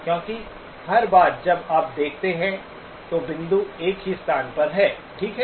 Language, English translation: Hindi, Because every time you view, the point is at the same location, okay